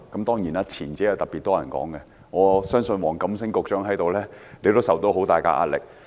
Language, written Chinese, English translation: Cantonese, 當然，特別多人討論前者，我相信黃錦星局長在此也受到很大壓力。, Of course the former has drawn much attention in the discussion and I believe that Secretary WONG Kam - sing is also under tremendous pressure